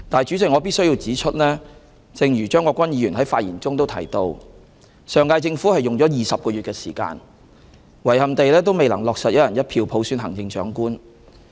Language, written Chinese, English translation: Cantonese, "主席，我必須指出，正如張國鈞議員在發言中提到，上屆政府用了20個月的時間，遺憾地也未能落實"一人一票"普選行政長官。, President I must point out as indicated by Mr CHEUNG Kwok - kwan in his speech despite the fact that the last - term Government had spent 20 months it was regrettably unable to implement the selection of the Chief Executive through one person one vote